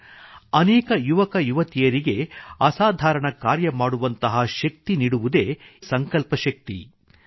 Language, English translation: Kannada, It is this will power, which provides the strength to many young people to do extraordinary things